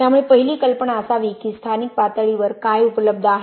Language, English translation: Marathi, So the first idea should be what is locally available